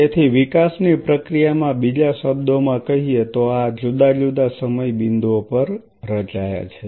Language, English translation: Gujarati, So, in other word in the process of development these have formed at different time points